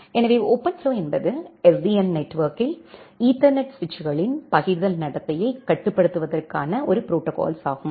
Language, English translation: Tamil, So, OpenFlow is a protocol for controlling the forwarding behavior of Ethernet switches in SDN network